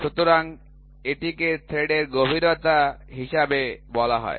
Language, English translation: Bengali, So, that is called as the depth of the thread